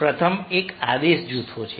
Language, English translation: Gujarati, so first one is command groups